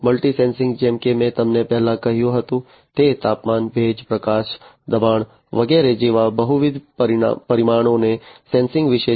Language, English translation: Gujarati, Multi sensing as I told you before it is about sensing multiple parameters such as temperature, humidity, light, pressure, and so on